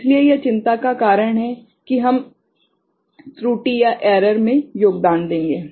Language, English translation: Hindi, So, that is a cause of concern that we will contribute to the error